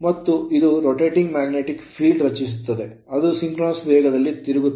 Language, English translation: Kannada, And it creates a rotating magnetic field which rotate at a synchronous speed your what you call ns right